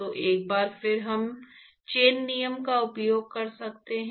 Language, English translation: Hindi, So, once again we can use chain rule